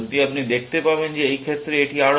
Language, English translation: Bengali, You will see that in this case, this is better